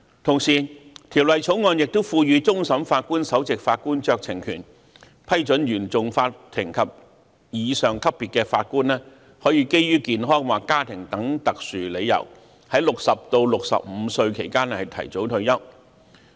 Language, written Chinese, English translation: Cantonese, 《條例草案》亦賦予終審法院首席法官酌情權，批准原訟法庭及以上級別的法官可以基於健康或家庭等特殊理由，在60至65歲期間提早退休。, The Bill also provides the Chief Justice with the discretionary power to approve early retirement for Judges at the CFI and above levels between the ages of 60 and 65 on exceptional grounds such as health or family reasons